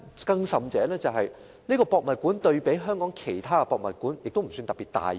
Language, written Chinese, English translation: Cantonese, 更甚的是，故宮館對比香港其他博物館不算特別大型。, What is more HKPM is not particularly large as compared with other museums in Hong Kong